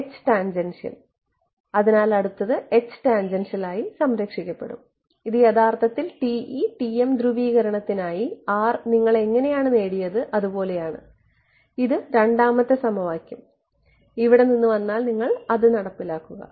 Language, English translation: Malayalam, H tan right, so next is going to be H tan conserved at this is actually how you derived your R for TE and TM polarization right, if the second equation comes from here and you just enforce it